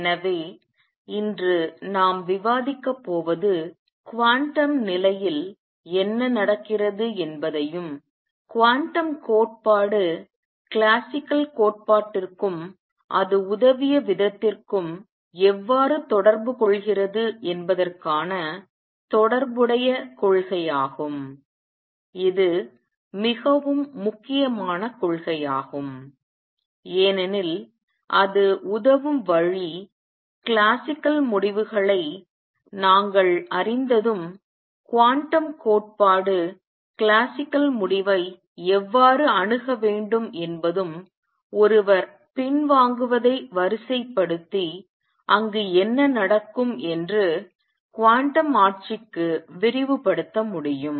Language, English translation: Tamil, So, what we are going to discuss today is the correspondence principle that made a connection of what happens at quantum level and how quantum theory goes over to classical theory and the way it helped, it is a really important principle because the way it helps is that once we knew the classical results and how quantum theory should approach the classical result, one could sort of backtrack and extrapolate to the quantum regime what would happen there